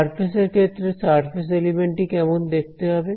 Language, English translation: Bengali, In the case of the surface, how does the surface element look